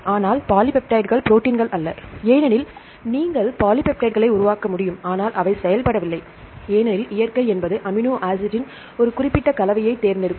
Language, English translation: Tamil, But polypeptides are not proteins because you can form polypeptides, but they are not functional because nature selects a particular combination of amino acid